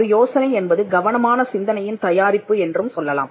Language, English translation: Tamil, We could also say that an idea is product of a careful thinking